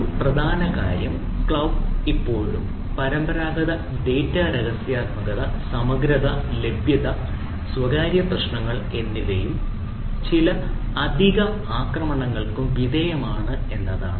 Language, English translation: Malayalam, so one of the major thing is that cloud are still subject to traditional data confidentiality, integrity, availability, privacy issues, plus some additional attacks